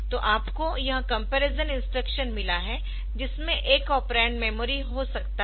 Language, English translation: Hindi, So, you have got this comparison with one of the operand may be memory for the comparison operation